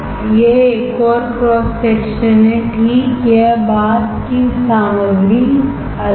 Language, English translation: Hindi, This is another cross section is the same thing right just the material is different